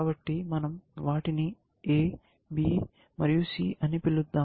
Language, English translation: Telugu, So, let me call them A, B and C